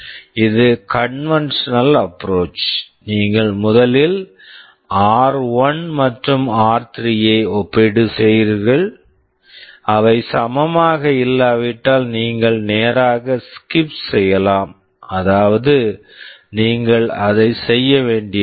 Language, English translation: Tamil, This is the conventional approach, you first compare r1 and r3; if they are not equal you can straight away skip; that means, you have you do not have to do it